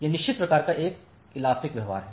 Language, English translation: Hindi, So, it has certain kind of elastic behavior